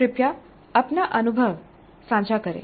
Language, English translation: Hindi, Please share your experience